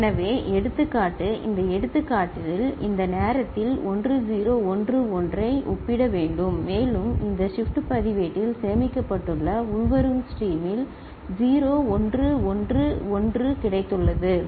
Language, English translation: Tamil, So, the example in this example at this point of time 1 0 1 1 is to be compared and we have got 0 1 1 1 in the incoming stream which is stored in this shift register, ok